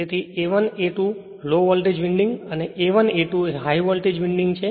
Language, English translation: Gujarati, So, a 1 a 2 Low Voltage winding and capital A 1 capital A 2 is High Voltage winding